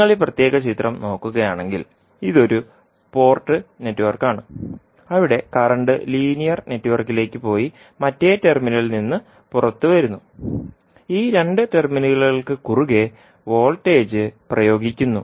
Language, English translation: Malayalam, So, if you look at this particular figure, this is one port network where the current goes in to the linear network and comes out from the other terminal and voltage is applied across these two terminals